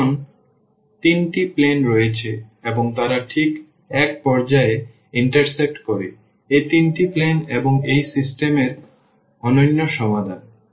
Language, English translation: Bengali, So, there are 3 planes now and they intersect exactly at one point; these 3 planes and that is the solution that unique solution of that system